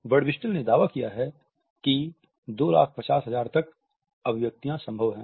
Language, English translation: Hindi, Birdwhistell has claimed that up to 2,50,000 expressions are possible